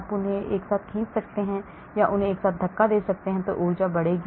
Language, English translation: Hindi, You pull them together or push them together, energy will increase